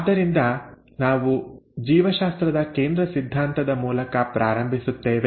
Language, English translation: Kannada, So we will start with what is called as the Central dogma of biology